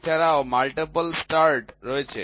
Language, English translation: Bengali, There are also multiple start threads